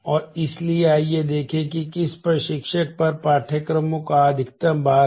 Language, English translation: Hindi, And so, let us see which instructor has a maximum load of courses